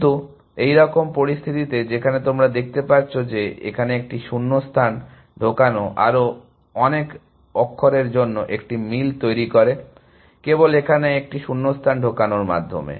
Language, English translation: Bengali, But, in a situation like this, where you can see that, inserting one gap here produces a match for so many more characters, simply by inserting one gap here